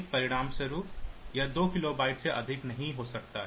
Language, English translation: Hindi, So, as a result so, it cannot be more than 2 kilobyte